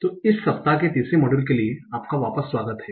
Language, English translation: Hindi, So, welcome back for the third module of this week